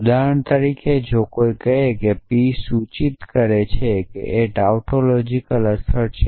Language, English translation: Gujarati, So, for example, if somebody says p implies p is a tautological implication which is trivially true